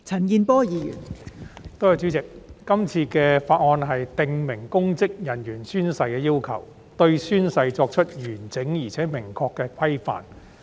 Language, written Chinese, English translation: Cantonese, 代理主席，《2021年公職條例草案》訂明公職人員宣誓的要求，對宣誓作出完整而明確的規範。, Deputy President the Public Offices Bill 2021 the Bill stipulates the requirements on oath - taking by public officers and develops complete and clear standards for oath - taking